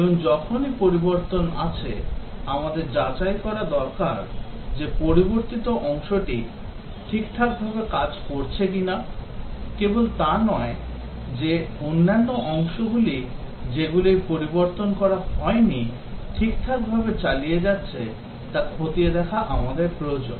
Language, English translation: Bengali, And whenever there is change, we need to check whether the changed part is working all right, not only that we need to check whether the other parts which have not being changed whether they are continuing to work all right